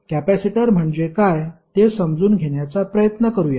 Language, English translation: Marathi, Let us try to understand what is capacitor